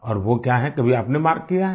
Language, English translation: Hindi, And what is that…have you ever marked